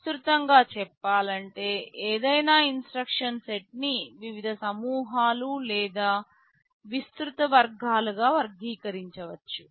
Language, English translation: Telugu, Broadly speaking any instruction set can be categorized into various groups or broad categories